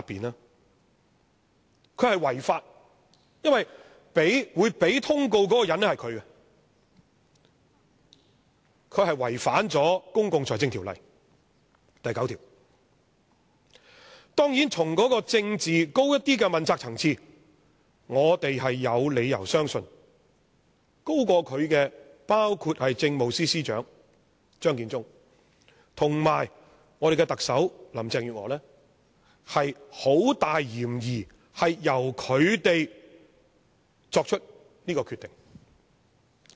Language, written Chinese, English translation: Cantonese, 他是違法，因為他是給予通告的人，但他卻違反了《公共財政條例》第9條——當然，從較高的政治問責層次，我們有理由相信高級過他的人，包括政務司司長張建宗和我們的特首林鄭月娥，有很大嫌疑是由他們作出這個決定的。, He has violated section 9 of the Public Finance Ordinance PFO for he is the person responsible for giving notice under the law . Of course from a higher level of accountability we have reasons to believe that the decision was made by his seniors and the Chief Secretary for Administration Matthew CHEUNG and the Chief Executive Carrie LAM are the main suspects